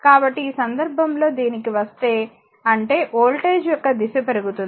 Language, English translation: Telugu, So, in this case, if you come to this that ; that means, the direction of the your voltage rise